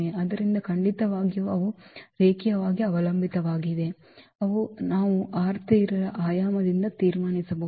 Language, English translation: Kannada, So, definitely they are linearly dependent which we can conclude from the dimension of R 3 which is 3